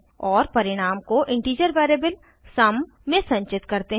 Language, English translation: Hindi, And store the result in integer variable sum